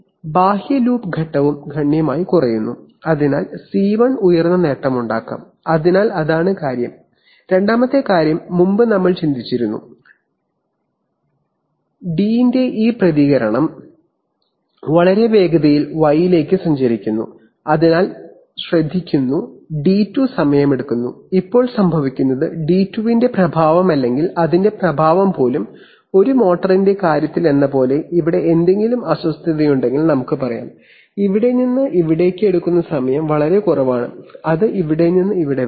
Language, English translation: Malayalam, And then the outer loop phase is also reduced significantly and therefore C1 can be a of high gain, so that is the point, second thing is that, previously we were thinking that this response of d2 travels to y much slower so taking care of d2 takes time, now what happens is that the effect of d2 or even the effect of, let us say if we have some disturbance here like in the case of a motor, the time it takes from here to here is much lower than that from here to here